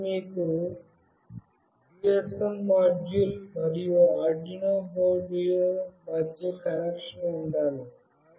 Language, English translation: Telugu, So, you must have a connection between the GSM module and the Arduino board